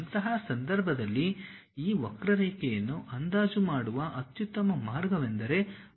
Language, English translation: Kannada, In that case the best way of approximating this curve is by polynomial expansions